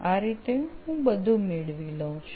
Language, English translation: Gujarati, So this is how I get those things